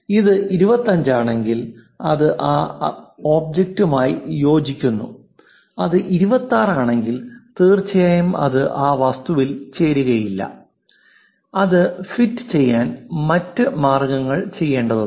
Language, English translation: Malayalam, If this one is 25 it fits in that object, if it is 26 definitely it will not fit into that object one has to do other ways of trying to fit that